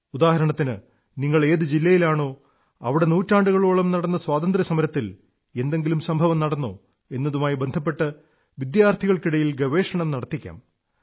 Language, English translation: Malayalam, For example, the district you live in, were there any events during the course of the freedom struggle in the past centuries